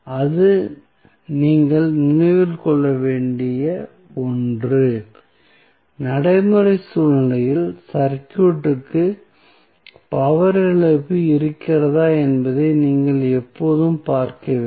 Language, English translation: Tamil, So, that is something which you have to keep in mind that in practical scenario, you always have to see whether there is a power loss in the circuit are not